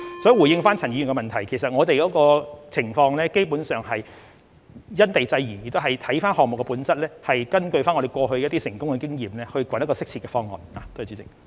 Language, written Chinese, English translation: Cantonese, 所以，回應陳議員的補充質詢，我們的情況基本上是因地制宜，也要視乎項目本質，以及根據過去一些成功的經驗，尋找一個適切的方案。, So in response to Mr CHANs supplementary question basically we will have regard to the respective circumstances and we also need to take into account the nature of the projects and draw reference to the successful experiences in the past in identifying a suitable approach